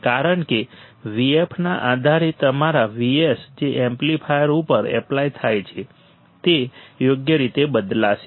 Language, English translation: Gujarati, Because depending on the V f your V s that is applied to the amplifier would change right